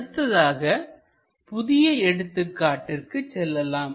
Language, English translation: Tamil, Let us move on to the new example